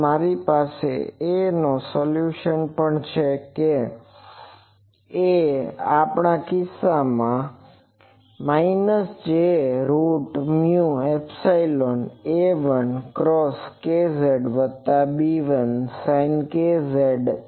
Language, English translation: Gujarati, So, also I have the solution of A that A is in our case is minus j root over mu epsilon A 1 cos k z plus B 1 sin k z